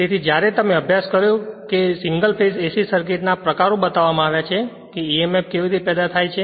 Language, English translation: Gujarati, So, when you studied that your single phase AC circuits are the type we showed that how emf is generated